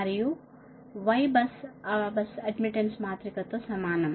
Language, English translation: Telugu, what will do for bus admittance matrix